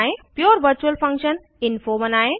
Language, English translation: Hindi, Let us see pure virtual function